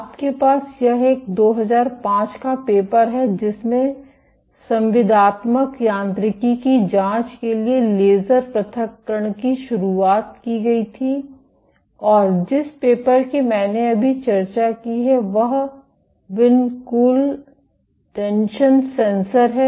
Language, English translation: Hindi, You have this is a 2005 paper which introduced laser ablation for probing contractile mechanics, and the paper I just discussed on vinculin tension sensor